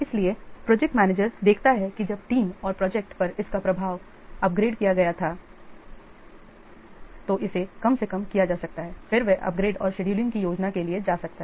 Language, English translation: Hindi, So, the project manager to see that when the impact of this was upgrades on the team and the project, it can be minimized then he may go for a plan for upgrades and scheduling them